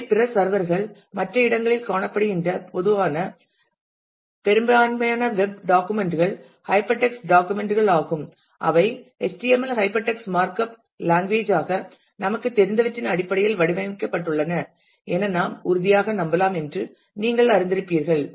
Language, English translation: Tamil, Which are locate at other places at other servers and typically most web documents are hyper text documents which are formatted in terms of what we know as HTML Hyper Text Markup Language; you will be familiar with that I am sure